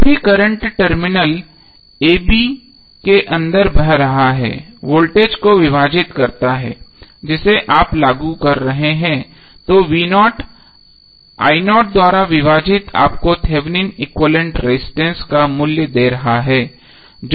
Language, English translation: Hindi, Whatever the current which is flowing inside the terminal a b divided the voltage which you are applying then v naught divided by I naught would be giving you the value of Thevenin equvalent resistance that is RTh